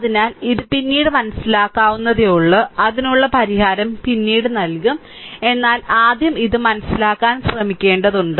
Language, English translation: Malayalam, So, this is understandable later we will we have given the solution that, but first we have to we have to try to understand this right